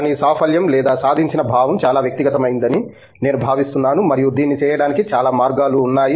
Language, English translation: Telugu, But, I think the sense of accomplishment or achievement is highly personal and there are lots of ways by which this can be done